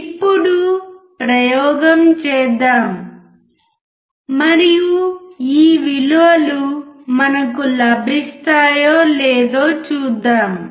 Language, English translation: Telugu, Let us do actual experiment and see whether we get this values or not alright